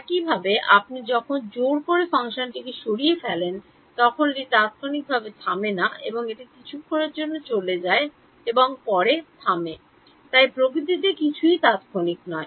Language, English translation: Bengali, Similarly, when you remove the forcing function it does not instantaneously stop it goes for a while and then stops right, so nothing is instantaneous in nature right